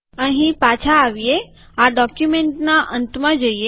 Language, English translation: Gujarati, Come back here go to the bottom of this document